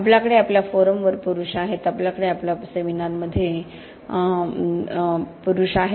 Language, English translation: Marathi, We have the men on our forums, we have the men on our seminars